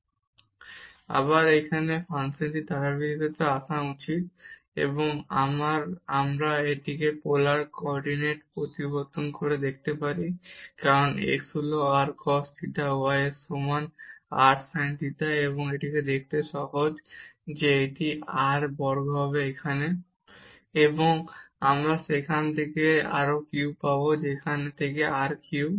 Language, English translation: Bengali, Now, coming to the continuity of this function again it is simple, and we can show by changing it to polar coordinate as x is equal to r cos theta y is equal to r sin theta and it is easy to see that this will be r square term here